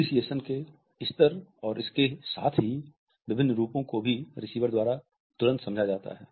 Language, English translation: Hindi, The level of appreciation and at the same time different variations are also immediately understood by the receiver